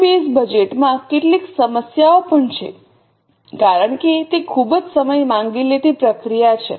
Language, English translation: Gujarati, There are also some problems in zero based budgeting because it's a very much time consuming process